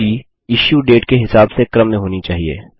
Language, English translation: Hindi, The list should be chronological by Issue date